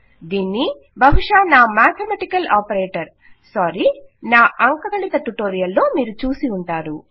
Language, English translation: Telugu, As you have probably seen in my mathematical operator sorry in my arithmetic operator tutorial